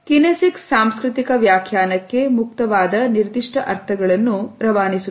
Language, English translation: Kannada, Kinesics conveys specific meanings that are open to cultural interpretation